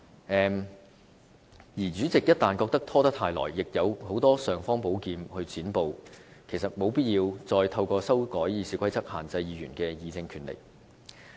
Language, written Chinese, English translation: Cantonese, 一旦主席認為拖延太久，其實也有很多尚方寶劍可以"剪布"，故沒有必要再透過修改《議事規則》限制議員的議政權力。, Should the Council President or any committee Chairman be impatient with the procrastination they have various kinds of imperial sword in hands to cut off the filibusters . Hence there is no need to amend RoP to restrict Members power of debating on policies